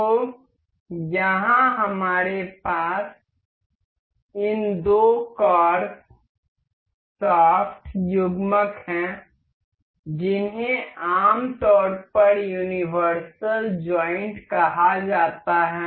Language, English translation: Hindi, So, here we have these two carbs shaft couplers this is generally called universal joint